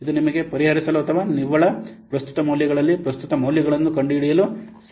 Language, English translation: Kannada, This will help you for solving or for finding out the present values and the next present values